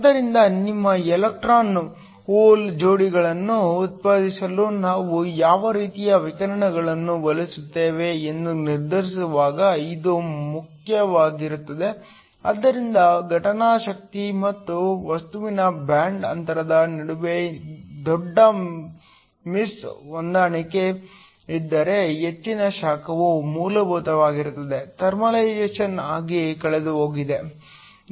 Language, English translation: Kannada, So, This is important when we decide what kind of incident radiation we want in order to generate your electron hole pairs, so if there is a large miss match between the incident energy and the band gap of the material most of the heat will essentially be lost as thermalization